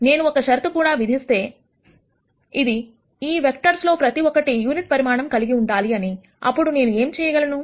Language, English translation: Telugu, If I also impose the condition, that I want each of these vectors to have unit magnitude then what I could possibly do